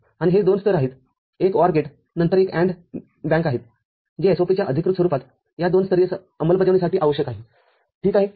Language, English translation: Marathi, And these are the two levels one AND bank followed by an OR gate which is required for this two level implementation of the canonical form of SOP ok